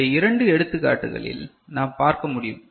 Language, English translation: Tamil, So, for this particular example you can see